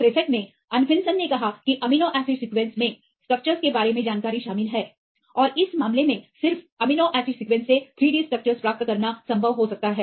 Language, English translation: Hindi, In 1963 Anfinsen stated that the amino acid sequence contains the information regarding the structures, and in this case it may be possible to get the 3 D structures from just amino acid sequence